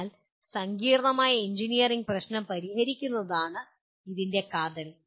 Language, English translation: Malayalam, So that is another feature of complex engineering problems